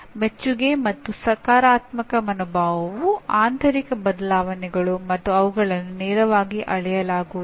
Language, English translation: Kannada, So appreciation and positive attitude are internal changes and not directly measurable